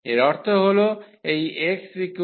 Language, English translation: Bengali, So, x goes from y